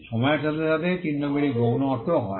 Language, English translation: Bengali, Marks over a period of time also get secondary meaning